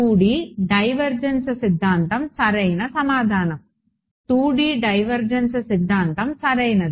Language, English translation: Telugu, 2D divergence theorem exactly so, 2D divergence theorem right